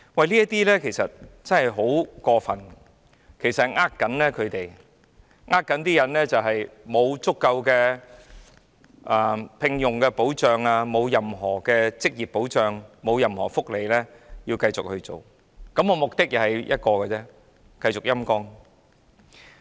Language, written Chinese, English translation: Cantonese, 這其實真的很過分，是在欺騙員工，他們沒有足夠的職業保障，亦沒有任何福利，但還要繼續做，而目的只有一個，就是繼續"陰乾"港台。, This is indeed most undesirable and the Government is deceiving these employees for they do not have adequate employment protection nor do they enjoy any welfare and yet they still have to work there . There is only one objective and that is to sap RTHK continuously